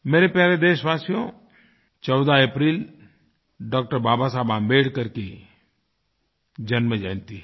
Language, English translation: Hindi, My dear countrymen, April 14 is the birth anniversary of Dr